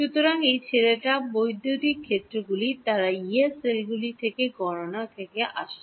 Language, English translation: Bengali, So, these guys electric fields they are coming from the calculation from the Yee cells